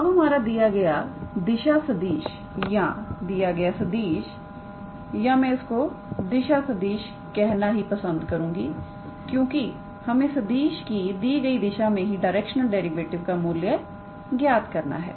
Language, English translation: Hindi, Now, the given direction vector or the given vector or I also prefer to call it as direction vector, because we have to calculate the directional derivative along the direction of this vector ok